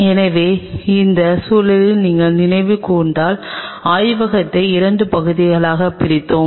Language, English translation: Tamil, So, in that context if you recollect we divided the lab into 2 parts right